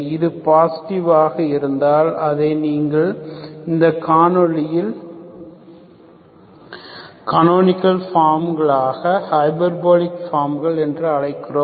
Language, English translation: Tamil, If it is positive, you call this, this canonical form is hyperbolic form